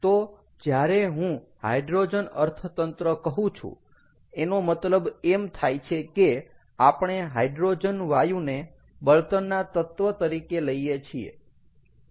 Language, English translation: Gujarati, so, as i say, hydrogen economy means we are looking at hydrogen gas or hydrogen as an element, ah as a, as a fuel